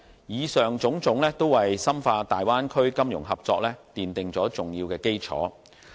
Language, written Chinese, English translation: Cantonese, 以上種種，均為深化大灣區金融合作奠定了重要基礎。, All of the above have laid down an important foundation for deepening the financial cooperation in the Bay Area